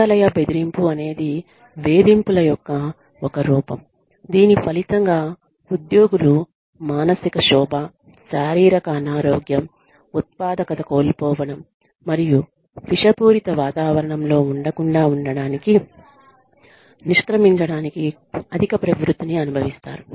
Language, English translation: Telugu, Workplace bullying is a form of harassment, that results in, employees experiencing mental distress, physical illness, loss of productivity, and a higher propensity to quit, to avoid being in a toxic environment